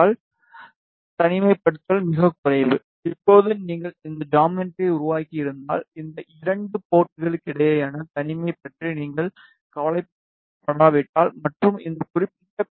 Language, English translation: Tamil, So, the isolation is very less now suppose if you have made this geometry and if you are not worried about the isolation between these 2 ports and if you just simply want to fabricate this particular PCB